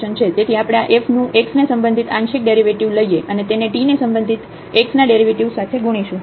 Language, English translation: Gujarati, So, we will take here the partial derivatives of this f with respect to x and multiplied by the derivative of x with respect to t